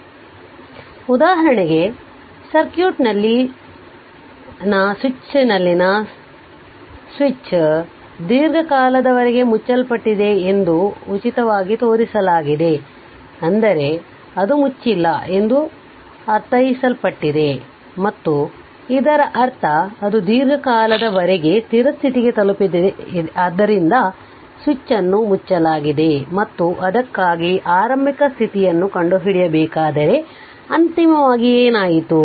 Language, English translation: Kannada, So, for example you take this example that your that switch in the your switch in the circuit, in shown free as being closed for a long time long time means, that it was a no it was closed it was right and that means, it has reached to steady state that long time switch was closed right and finally what happened if it is your you have to find out the initial condition for that right